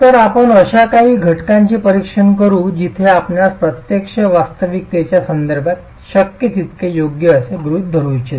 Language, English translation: Marathi, So let's examine a few cases where you might want to make assumptions that are as appropriate as possible with respect to physical reality